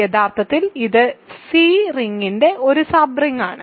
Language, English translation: Malayalam, So, actually this is a sub ring of C right